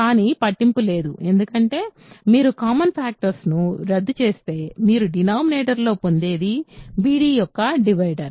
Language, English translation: Telugu, But does not matter because, if you cancel the common factors, what you will get in the denominator is something which is the divisor of b d